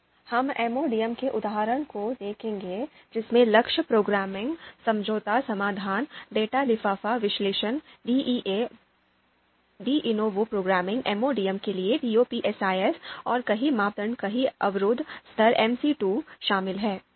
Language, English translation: Hindi, Now, we will look at the examples of MODM, then goal programming, compromise solution, data envelopment analysis DEA, De novo programming, TOPSIS for MODM and multiple criteria you know multiple constraints level